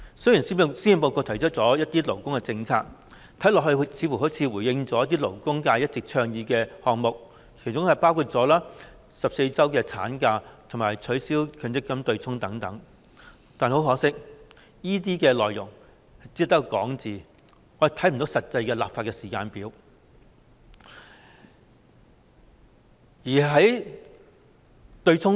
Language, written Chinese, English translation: Cantonese, 雖然施政報告提出了一些勞工政策，看似回應了一些勞工界一直倡議的項目，其中包括14周法定產假及取消強制性公積金對沖等，但很可惜，這些內容只是空談，我們看不到實際的立法時間表。, Although the Policy Address has proposed some labour policies which seem to have responded to some items advocated by the labour sector including the introduction of 14 weeks of statutory maternity leave and the abolition of the offsetting arrangement under the Mandatory Provident Fund MPF System it is a pity that these are just empty talks . We see no concrete legislative timetable at all